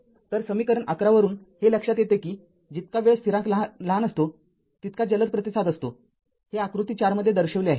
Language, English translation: Marathi, So, it can be observed from equation 11 that the smaller the time constant the faster the response this is shown in figure four